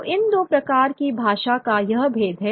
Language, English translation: Hindi, So there is this distinction of these two kinds of language